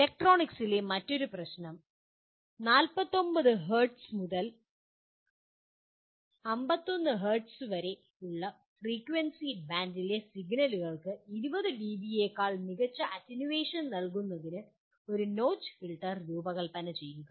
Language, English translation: Malayalam, Yet another problem in the area in electronics: Design a notch filter to provide attenuation better than 20 dB to signals in the frequency band of 49 Hz to 51 Hz